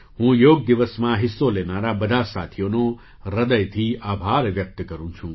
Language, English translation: Gujarati, I express my heartfelt gratitude to all the friends who participated on Yoga Day